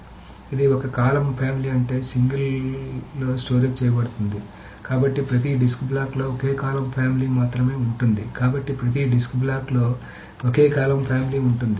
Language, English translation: Telugu, So a column family this is stored in a single, I mean, so every disk block contains only a single column family